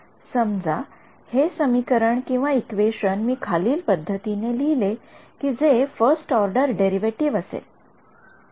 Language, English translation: Marathi, Supposing I write this equation as in the following way becomes the first order derivatives